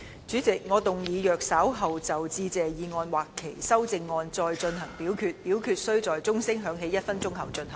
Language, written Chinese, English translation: Cantonese, 主席，我動議若稍後就"致謝議案"所提出的議案或修正案再進行點名表決，表決須在鐘聲響起1分鐘後進行。, President I move that in the event of further divisions being claimed in respect of the Motion of Thanks or any amendments thereto this Council do proceed to each of such divisions immediately after the division bell has been rung for one minute